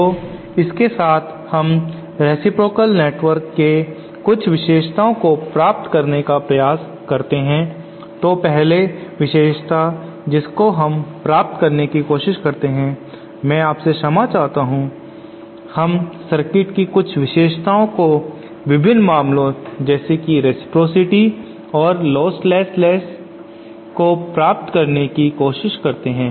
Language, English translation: Hindi, So with this let us try to derive some properties of reciprocal network so first net the first property that we try to, I beg your pardon let us try to derive some of the properties of network for various cases like reciprocity and lostlessness